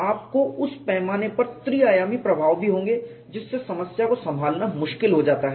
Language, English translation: Hindi, You will also have three dimensional effects at that scale which also makes the problem difficult to handle